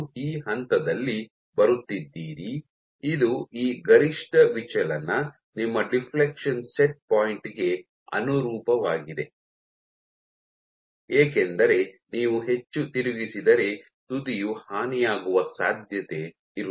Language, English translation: Kannada, You are coming at this point, this maximum point of deflection this is corresponding to your deflection set point, because if you deflect more there is a chance that your tip might be damaged